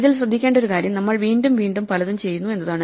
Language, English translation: Malayalam, The point to note in this is that we are doing many things again and again